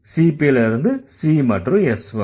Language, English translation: Tamil, P again goes to C and S